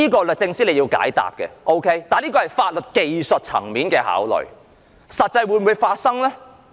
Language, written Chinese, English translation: Cantonese, 律政司須解答，這是法律技術層面的考慮，但實際上會否發生？, The Department of Justice should tell us whether this technical legal problem will actually happen